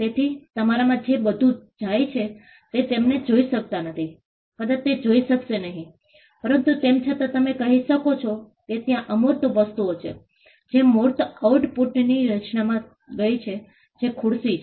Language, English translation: Gujarati, So, all that goes into you may not be able to see it in you may not be able to see it, but nevertheless you can say that there are intangible things that have gone into the creation of the tangible output which is the chair